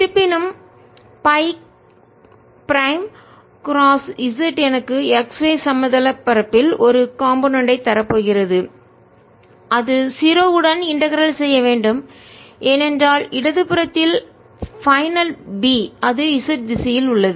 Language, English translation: Tamil, however, phi prime cross z is going to give me a component in the x y plane and that should integrate to zero because final b on the left hand side it is in the z direction